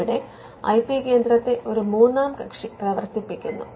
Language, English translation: Malayalam, You can have an external IP centre the IP centre is run by a third party